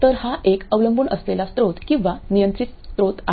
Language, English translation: Marathi, So it's a dependent source or a controlled source